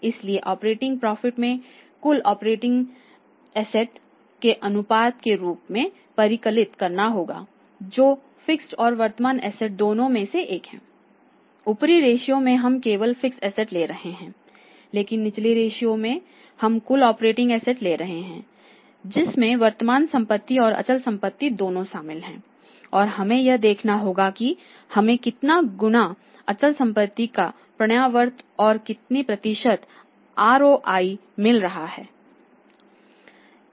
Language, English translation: Hindi, So, operating profit we have to calculate as a ratio of the total operating assets that is both fixed and the current assets total operating, fixed and current asset have to take care in the upper ratio we are taking only fixed asset but in the lower ratio we are taking both of total operating assets that is the both current assets and the fixed assets and we have to see how many times or what is the percentage normally we calculate the ROI in terms of the percentage and fixed asset turnover can be in times